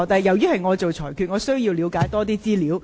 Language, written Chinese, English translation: Cantonese, 現時是由我作裁決，我要了解多一點資料。, I am the one who makes the ruling and I want to get more information